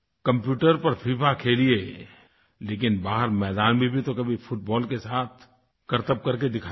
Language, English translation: Hindi, Play FIFA on the computer, but sometimes show your skills with the football out in the field